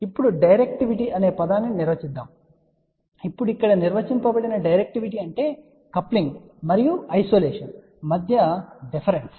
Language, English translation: Telugu, Now, will define a term directivity now directivity defined here is the difference between the coupling and the isolation ok